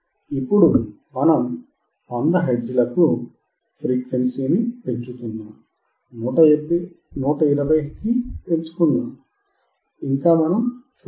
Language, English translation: Telugu, Now we are increasing to 100 hertz, let us increase to 120 , still we cannot see